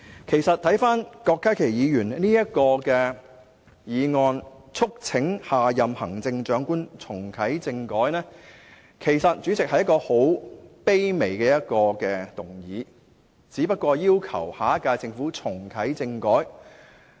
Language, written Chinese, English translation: Cantonese, 其實郭家麒議員提出"促請下任行政長官重啟政改"的議案，是一個十分卑微的請求，只是要求下屆政府重啟政改。, In fact the motion moved by Dr KWOK Ka - kis on Urging the next Chief Executive to reactivate constitutional reform is a very humble request in fact who is only asking the next - term Government to reactivate constitutional reform